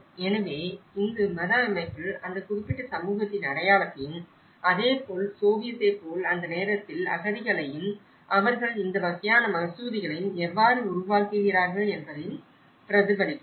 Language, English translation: Tamil, So, it reflects the identity of that particular community in the religious system and similarly, the Soviet that time refugees and how they build this kind of mosques